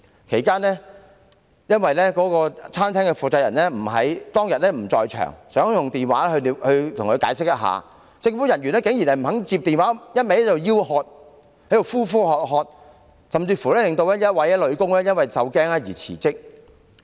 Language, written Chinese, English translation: Cantonese, 其間，由於餐廳負責人不在場，想透過電話作出解釋，但政府人員竟然不肯接聽電話，只是一直呼喝店員，甚至令其中一名女店員因受驚而辭職。, During the process the shop owner who was not present then wished to explain the case over the phone but the government officers refused to answer the call and kept yelling at the shop assistants causing one of the female assistants to resign out of fear